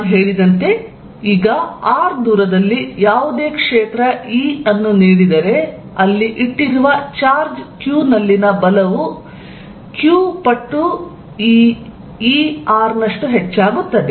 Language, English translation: Kannada, As I said is now that given any field E at r, the force on a charge q, put there is going to be q times this E r